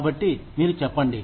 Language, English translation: Telugu, So, you say, okay